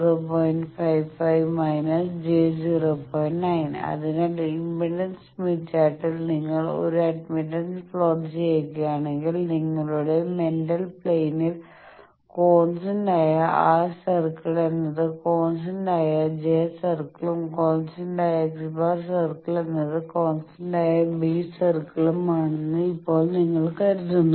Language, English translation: Malayalam, So, now you think that in impedance smith chart if you want to plot an admittance smith chart then in your mental plain in you will up to thing that constant R bar circle is constant j bar circle and constant X bar circle is constant B bar circle